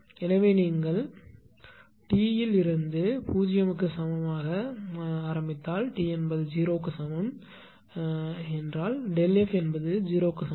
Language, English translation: Tamil, So, you will start from t is equal to 0 if you put t is equal to 0 that delta F at t is equal to 0 is 0